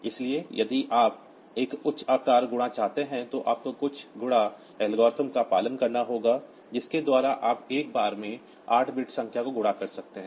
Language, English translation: Hindi, So, if you want a higher size multiplication then you have to follow some multiplication algorithm by which you can multiply 8 bit numbers at a time